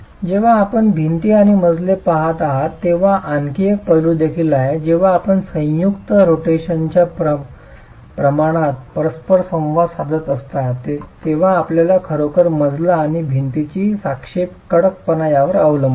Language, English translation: Marathi, The point is when you are looking at walls and floors interacting the amount of joint rotation that you can get really depends on what is the relative stiffness of the flow and the wall itself